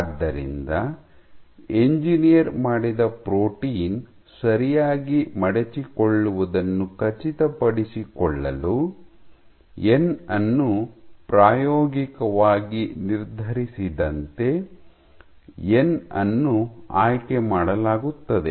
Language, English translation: Kannada, So, n is chosen as n is experimentally determined so as to ensure the engineered protein folds properly